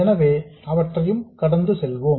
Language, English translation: Tamil, So let's go through them